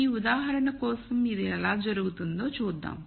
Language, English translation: Telugu, So, let us see how this happens for this example